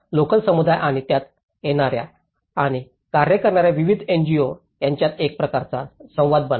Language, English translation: Marathi, Become a kind of interface between the local communities and the various NGOs coming and working in it